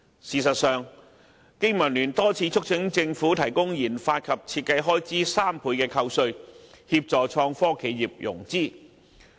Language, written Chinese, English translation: Cantonese, 事實上，經民聯多次促請政府提供研發及設計開支3倍扣稅，協助創科企業融資。, In fact BPA has repeatedly urged the Government to offer 300 % tax deduction to enterprises engaging in product research and development RD so as to assist IT industries in financing